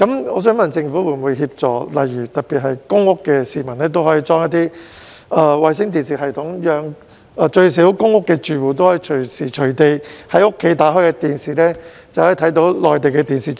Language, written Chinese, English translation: Cantonese, 我想問政府會否協助，特別是居於公共租住房屋的市民，安裝衞星電視系統，讓公屋住戶可隨時在家開啟電視便能收看內地電視節目。, I would like to ask whether the Government will provide assistance especially for those residing in public rental housing PRH units in installing satellite TV systems so that PRH tenants can switch on their TVs to watch Mainland TV programmes at home anytime